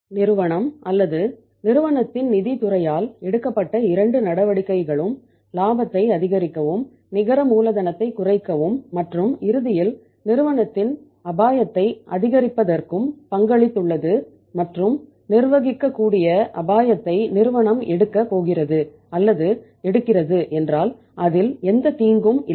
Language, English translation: Tamil, And both the the steps taken both the measures taken by the firm or by the finance department of the firm you see that they have contributed to the increased profitability, decreased net working capital and ultimately decrease increase in the say risk of the firm and if it is manageable if the firm is going to take or taking the manageable risk then there is no harm in it